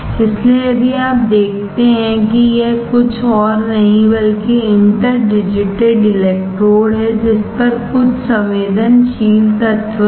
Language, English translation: Hindi, So, here if you see this is nothing but interdigitated electrodes on which there is some sensitive element